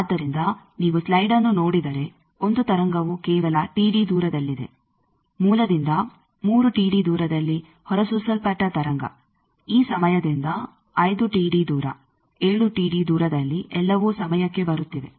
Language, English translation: Kannada, So, if you look at the slide you will understand that one wave with just T d away, the wave which was emitted by the source 3 T d away, from this time then 5 T d away, 7 T d away, all are coming at the time